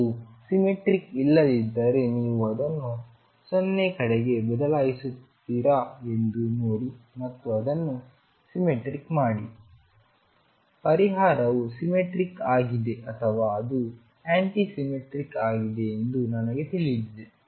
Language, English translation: Kannada, If it is not symmetric see if you shift it towards 0 and make it symmetric then I know that the solution is either symmetric or it is anti symmetric